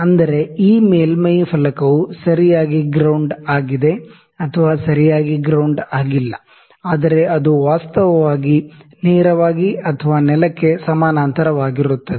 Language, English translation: Kannada, That is, made that made a surface plate is properly grounded or not properly grounded is actually straight or parallel to the ground